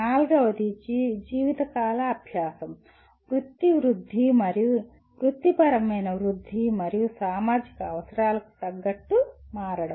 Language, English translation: Telugu, The fourth one is engage in lifelong learning, career enhancement and adopt to changing professional and societal needs